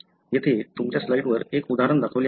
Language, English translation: Marathi, An example is shown here on your slide